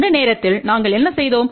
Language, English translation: Tamil, And this time what we have done